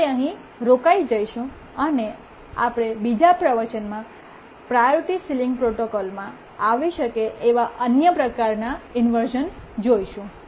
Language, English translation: Gujarati, We will stop here and we'll look at the other types of inversions that can occur in the priority ceiling protocol in the next lecture